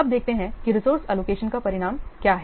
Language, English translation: Hindi, Now let's see what is the result of the resource allocation